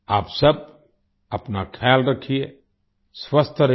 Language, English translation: Hindi, You all take care of yourself, stay healthy